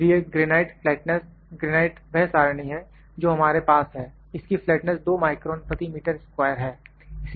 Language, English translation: Hindi, So, granite flatness granite is the what table that we have it is the flatness it is the 0 grade granite so, the 2 micron per meter square is the flatness